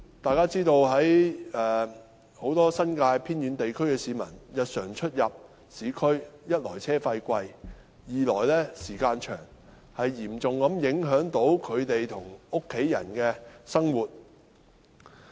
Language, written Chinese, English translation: Cantonese, 大家也知道，住在新界偏遠地區的市民日常出入市區，一來車資高昂，二來交通時間甚長，嚴重影響他們和家人的生活。, As we all know for people living in the remote areas in the New Territories who usually have to commute to and from the urban areas firstly the fares are high and secondly the travelling time is so long that it seriously affects their living and that of their families